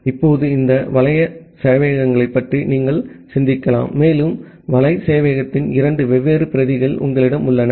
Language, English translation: Tamil, Now, you can think of this machine such the web servers and you have two different copies of the web server